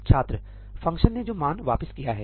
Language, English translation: Hindi, The value returned by the function